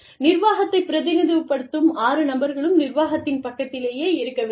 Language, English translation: Tamil, Six people, representing the management, all six should be, on the side of the management